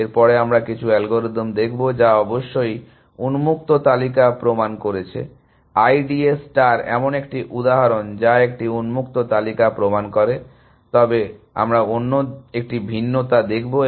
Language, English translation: Bengali, After that, we will look at some algorithms, which proven the open list of course, we have seen I D A star is one such a example, which proves a open list, but we will look at a other variations